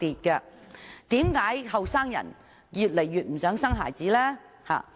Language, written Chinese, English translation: Cantonese, 為甚麼年青人越來越不想生孩子呢？, Why are young people increasingly reluctant to have children?